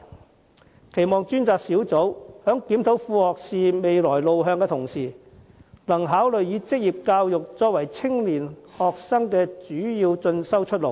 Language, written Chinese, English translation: Cantonese, 我期望專責小組在檢討副學士未來路向的同時，能考慮以職業教育作為青年學生的主要進修出路。, I hope that the task force will consider vocational education as a major path for young students during its review on the future direction for associate degrees